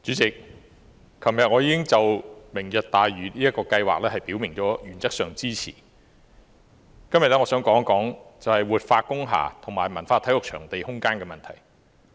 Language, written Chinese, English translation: Cantonese, 主席，昨天我已表明了原則上支持"明日大嶼"這項計劃，今天我想講一講活化工廈和文化體育場地空間的問題。, President yesterday I already indicated my support in principle for the Lantau Tomorrow project . Today I would like to talk about the issues of revitalization of industrial buildings and space for cultural and sports venues